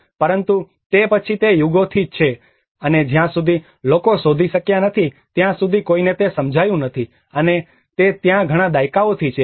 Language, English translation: Gujarati, But then it has been there for ages and until people have discovered no one have realized it, and it has been there since many decades